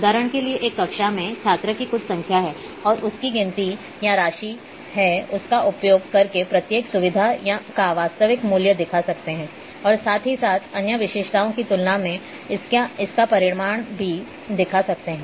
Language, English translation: Hindi, For example, number of student in a class and using a count or amount let’s you see the actual value of each feature as well, as it is magnitude compared to other features